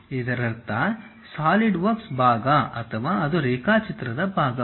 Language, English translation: Kannada, It means that Solidworks part or it is part of part the drawing